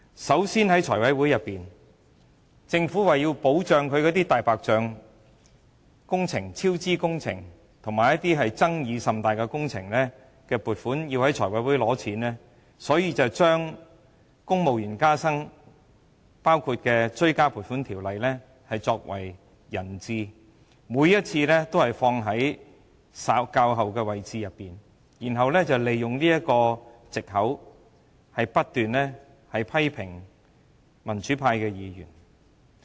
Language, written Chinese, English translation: Cantonese, 首先，政府為了讓"大白象"超支工程及一些爭議甚大的工程能在財務委員會取得撥款，就把包括公務員加薪在內的《條例草案》作為人質，每一次也編排在議程較後，然後利用這個藉口，不斷批評民主派議員。, To start with in order to enable white elephant projects incurring cost overruns and highly controversial projects to obtain funding the Bill as well as the civil service pay rise was taken hostage and moved to a later position on the agenda on every occasion . Using this as an excuse the Government has continuously criticized the pro - democracy Members